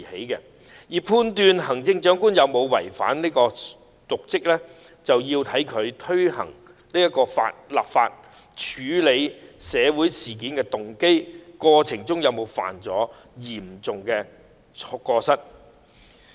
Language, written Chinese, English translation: Cantonese, 如要判斷行政長官有否違法瀆職，我們便要看看她在推動立法的動機及處理社會事件的過程中有否犯下嚴重過失。, In order to judge whether the Chief Executive has been in breach of law and derelict in her duties we should consider her motives of taking forward the proposed legislative amendment exercise and whether she has been seriously negligent in dealing with social incidents